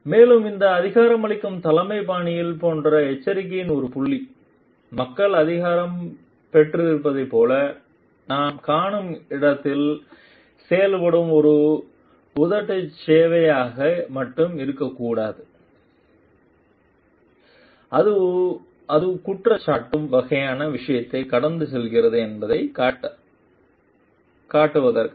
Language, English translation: Tamil, Also a point of caution over here like this empowering leadership style should not only be a lip service done where we find like people are empowered in order to show that it is a passing on the blame kind of thing